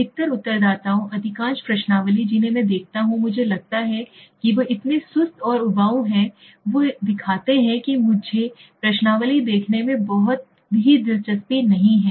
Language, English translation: Hindi, Most of the respondents, most of the questionnaires I see sometimes I feel they are so boring so dull and sometimes they show you know difficult to understand that I am not interested even looking at the questionnaire